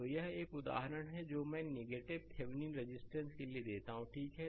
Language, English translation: Hindi, So, this is one example I give for negative Thevenin resistance right ok